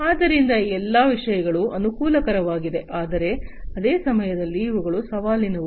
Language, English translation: Kannada, So, all these things are advantageous, but at the same time these are challenging